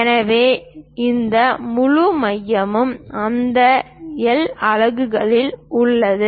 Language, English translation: Tamil, So, this whole center is at that L units